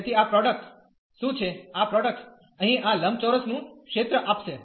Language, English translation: Gujarati, So, what is this product, this product will give the area of this rectangle here